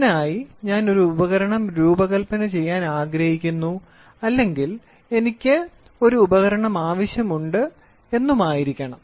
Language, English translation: Malayalam, For this I would like to design or I would like to have I would need an instrument